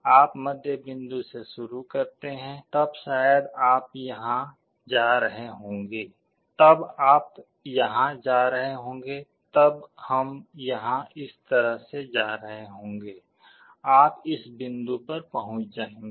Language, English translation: Hindi, You start with the middle point, then maybe you will be going here, then you will be going here then we will be going here like this; you will be converging to the point